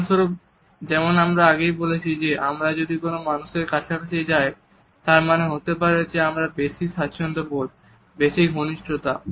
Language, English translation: Bengali, For example, as I have already commented if we move closer to another person it may signal a better comfort, some level of intimacy